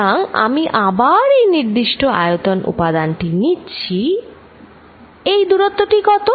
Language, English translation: Bengali, So, again I am taking this particular volume element, this distance is d r how much is dr